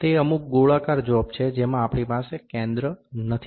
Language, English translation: Gujarati, They are certain circular jobs in which we do not do not have the center